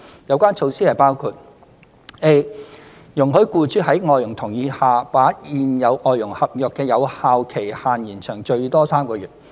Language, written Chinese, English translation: Cantonese, 有關措施包括： a 容許僱主在外傭同意下，把現有外傭合約的有效期限延長最多3個月。, The measures include a to allow employers to extend the validity period of the contracts with their existing FDHs for a maximum period of three months with the latters consent